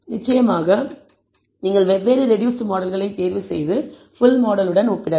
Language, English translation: Tamil, Of course, you can choose different reduced models and compare with the full model